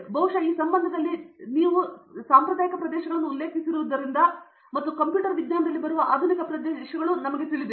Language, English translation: Kannada, Maybe in this relation, since you both mentioned traditional areas and you know modern areas that are coming up in computer science